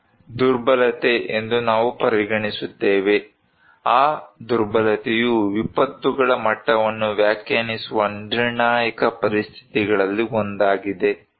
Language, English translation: Kannada, We consider this is a vulnerability, that vulnerability is one of the critical conditions to define that the degree of disasters